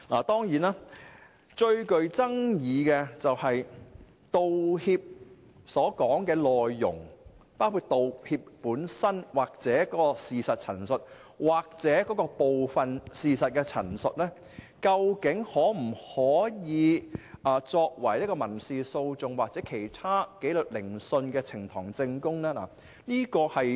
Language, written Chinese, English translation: Cantonese, 當然，最具爭議的問題是道歉所涉及的內容，包括道歉本身、事實陳述或部分事實陳述，究竟可否作為民事訴訟或其他紀律聆訊的呈堂證供？, Of course the most controversial issue is whether the contents of an apology including the apology itself and the statement of fact or any partial representation of fact are admissible as evidence in civil litigations or other disciplinary proceedings?